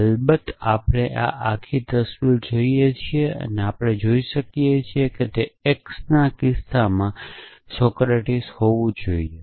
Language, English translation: Gujarati, Off course we look at this whole picture and we can see that a must be Socratic in that case of that x must be Socratic